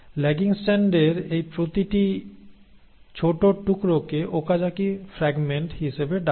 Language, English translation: Bengali, Now each of these tiny pieces of the lagging strand are called as the Okazaki fragments